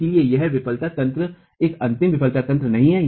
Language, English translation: Hindi, Therefore, this failure mechanism, this failure mechanism is not an ultimate failure mechanism